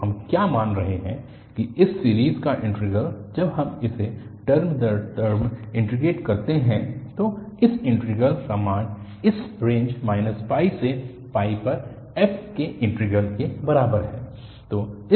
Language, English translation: Hindi, So, what we are assuming that the integral of this series, when we integrate this term by term, that the value of that integral is equal to the integral of f over this range minus pi to pi